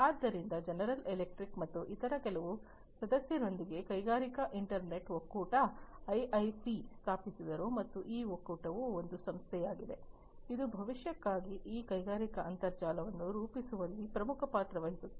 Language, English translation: Kannada, So, General Electric along with few other members founded the industrial internet consortium IIC and this consortium is the body, which is largely the main player for shaping up this industrial internet for the future